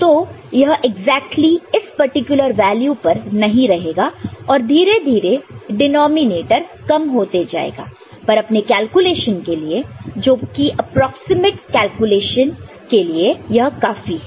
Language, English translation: Hindi, So, this will not remain exactly at this particular value, but gradually this denominator will become less, but for our calculation, approximate calculation, this is sufficient